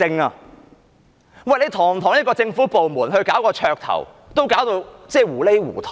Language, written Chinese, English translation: Cantonese, 代理主席，堂堂一個政府部門，搞綽頭都搞到糊裏糊塗。, Deputy Chairman a proper government department could get into a muddle when staging a gimmick